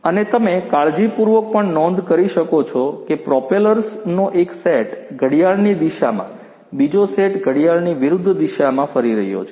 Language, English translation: Gujarati, And, as you can also notice carefully that the one set of propellers is rotating counterclockwise the other set is rotating clockwise